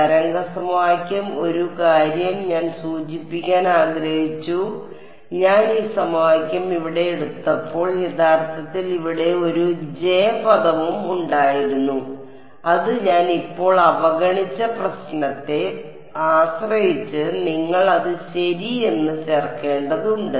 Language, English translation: Malayalam, Wave equation one thing I wanted to mention that when I took this equation over here there was there is also actually a J term over here, which I have ignored for now depending on the problem you will need to add it in ok